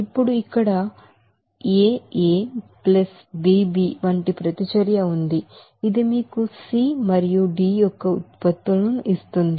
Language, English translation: Telugu, Now suppose, there is a reaction like here aA +bB which will give you the products of C and D